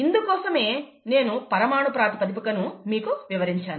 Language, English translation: Telugu, This is what I had shown the molecular basis for